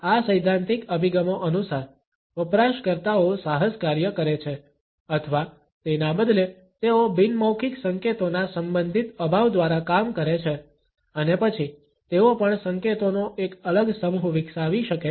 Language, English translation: Gujarati, According to these theoretical approaches, users exploit or rather they work through the relative lack of nonverbal cues and then they can also develop a different set of cues